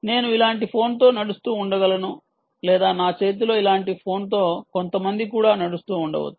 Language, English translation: Telugu, when i am walking, i can be walking with a phone like this, or i could be walking with a phone like this in my hand